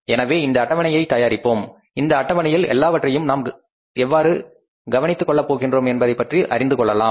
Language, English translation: Tamil, So, let us prepare this schedule and learn about that how we are going to take care of all these things